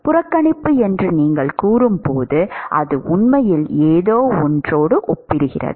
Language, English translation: Tamil, When you say neglect, it is actually in comparison with something